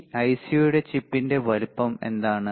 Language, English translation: Malayalam, What is the size of the chip or size of this IC